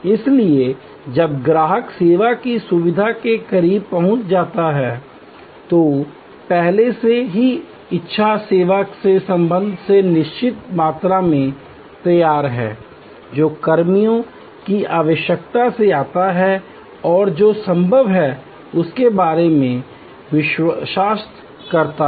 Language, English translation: Hindi, So, when the customer is approaching the service facility, there is already a certain amount of framing with respect to desire service, which comes from personnel need and believe about what is possible